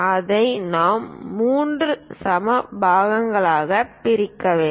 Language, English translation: Tamil, We have to divide that into three equal parts